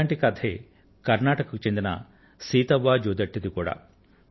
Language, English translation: Telugu, A similar story is that of Sitavaa Jodatti from Karnataka